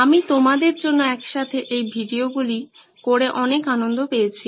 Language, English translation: Bengali, I had a lot of fun putting these videos together for you